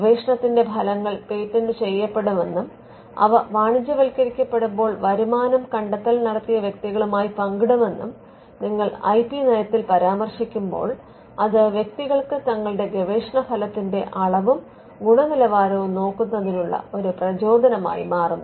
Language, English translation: Malayalam, Now, when you mention in the IP policy that patents will be filed for trestles of research, and when they are commercialized the revenue will be shared with the inventors, then that itself becomes an incentive for people to look at the quality and the quantity of their research out